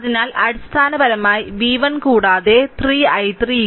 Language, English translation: Malayalam, So, basically v 1 is equal to also 3 i 3 so, is equal to v